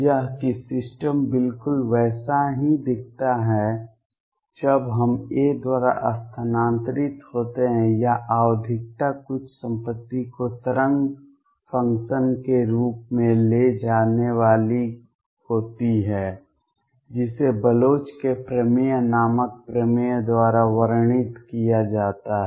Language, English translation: Hindi, That the system looks exactly the same when we shifted by a or the periodicity is going to lead to certain property as wave function which is described by a theorem called Bloch’s theorem